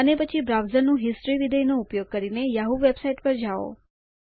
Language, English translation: Gujarati, Then go to the yahoo website by using the browsers History function